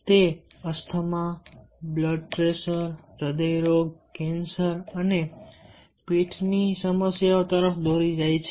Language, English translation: Gujarati, it leads to asthma, blood pressure, hard disease, cancer and back problems